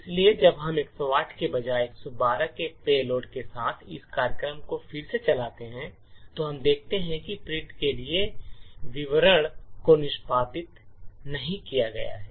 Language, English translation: Hindi, So, when we run this program again with payload of 112 instead of a 108 we would see that the done statement is not executed